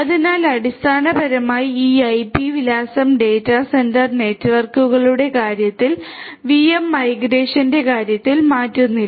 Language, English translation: Malayalam, So, basically this IP address does not change in the case of the VM migration in the case of data centre networks